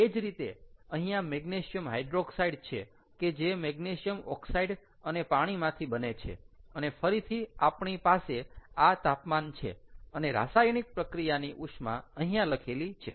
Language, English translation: Gujarati, similarly here, magnesium hydroxide is magnesium oxide and water, and again we have these temperatures and heat of reactions written